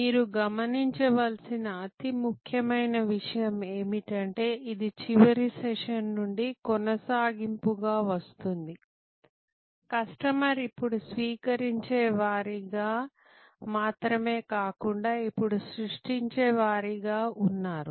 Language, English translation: Telugu, The most important point for you to notice, which is coming as a continuation from the last session is that, customer is now not only at the receiving end, customer is also at the creation end